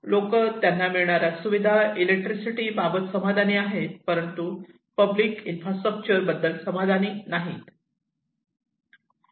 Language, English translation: Marathi, People were very satisfied as per the shelter and electricity, but they were not happy with the public infrastructure